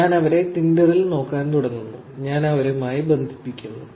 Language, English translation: Malayalam, I start looking at them on Tinder and I connect with them